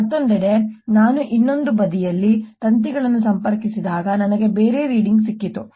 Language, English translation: Kannada, on the other hand, when i connected the wires on the other side, i got a different reading